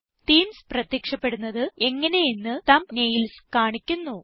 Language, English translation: Malayalam, The thumbnails show you how the themes would appear